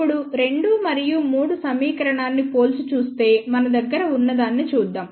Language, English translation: Telugu, Now comparing equation two and three let us see what we have